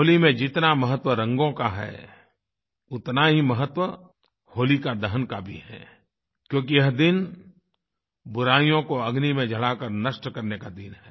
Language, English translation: Hindi, In The festival of Holi, the importance of colors is as important as the ceremony of 'HolikaDahan' because it is the day when we burn our inherent vices in the fire